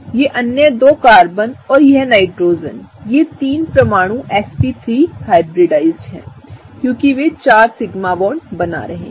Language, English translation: Hindi, These other 2 Carbons and this Nitrogen here, these three atoms are sp3 hybridized right, because they are forming 4 sigma bonds